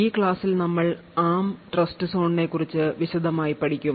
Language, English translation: Malayalam, So now we go into a big more detail about the ARM Trustzone